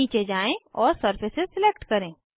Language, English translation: Hindi, Scroll down and select Surfaces